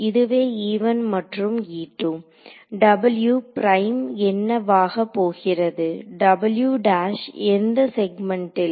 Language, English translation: Tamil, So, this is e 1 and e 2 so, w prime is going to be what w prime in this segment e 1 e 2